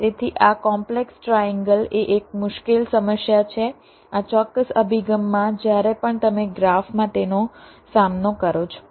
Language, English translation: Gujarati, one difficult problem is this particular approach whenever you encounter it in a graph